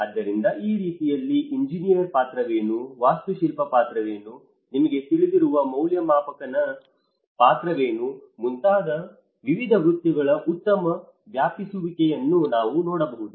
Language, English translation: Kannada, So, in that way, we can see a good overlap of various professions like what is the role of an engineer, what is the role of an architect, what is the role of a valuer you know